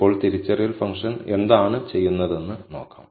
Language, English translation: Malayalam, Now, let us see what identify function does